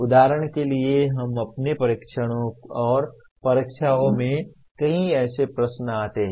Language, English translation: Hindi, For example we come across many such questions in our tests and examinations